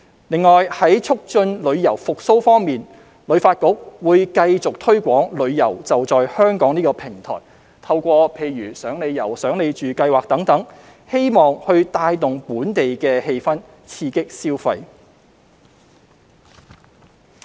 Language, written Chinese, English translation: Cantonese, 另外，在促進旅遊復蘇方面，香港旅遊發展局會繼續推廣"旅遊.就在香港"這個平台，透過"賞你遊香港"、"賞你住"等計劃，希望帶動本地氣氛，刺激消費。, In addition in promoting tourism recovery the Hong Kong Tourism Board HKTB will continue to promote the Holiday at Home platform and rebuild the citys ambience and stimulate spending through the Free Tour programme and the Staycation Delights campaign